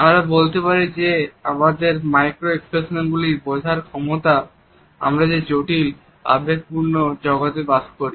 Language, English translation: Bengali, Micro expressions are key to understanding the complex emotional world we live in